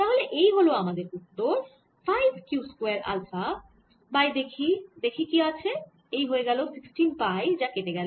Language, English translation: Bengali, as five q square alpha divided by, let's see, four, this becomes sixteen